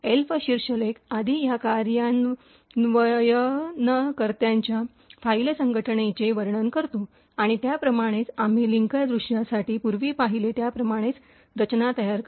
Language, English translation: Marathi, So, as before the Elf header describes the file organisation of this executable and has a very same structure as what we have seen previously for the linker view